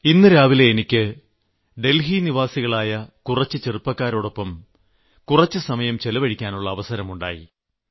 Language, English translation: Malayalam, Early this morning, I had an opportunity to spend some time with some young people from Delhi